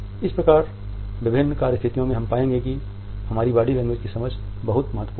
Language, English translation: Hindi, So, in different work situations we would find that an understanding of our body language is very important